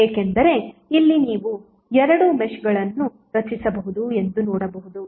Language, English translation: Kannada, Because here it is you can see that you can create two meshes